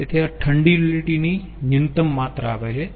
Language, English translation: Gujarati, so this gives the minimum amount of cold utility we have to use